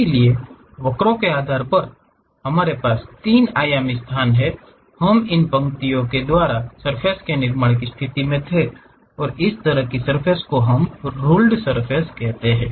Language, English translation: Hindi, So, based on the curves what we have in 3 dimensional space we were in a position to construct a surface joining by these lines and that kind of surfaces what we call ruled surfaces